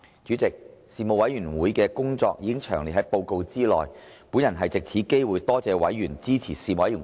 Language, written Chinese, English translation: Cantonese, 主席，事務委員會的工作已詳列於報告內，本人藉此機會多謝委員支持事務委員會的工作。, President the work of the Panel has been set out in detail in the report . I would like to take this opportunity to thank members for supporting the work of the Panel